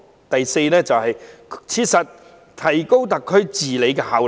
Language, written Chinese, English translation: Cantonese, 第四，切實提高特區治理效能。, The fourth one is to effectively improve the governance efficacy of SAR